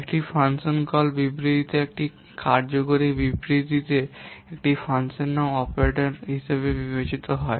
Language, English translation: Bengali, A function name in a function call statement is considered as an operator